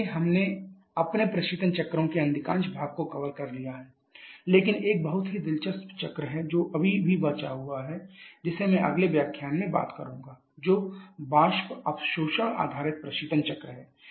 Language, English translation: Hindi, So, we have covered the most part of our equation cycles but there is one very interesting cycle that is still left which I shall be talking in the next lecture which is vapour absorption based refrigeration cycles